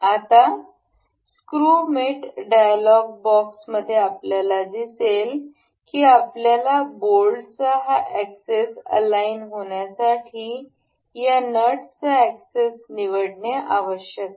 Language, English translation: Marathi, Now in the screw mate dialog box we will see we have to select this axis of the bolt and also the axis of this nut to be aligned